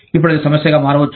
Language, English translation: Telugu, Now, that can become a problem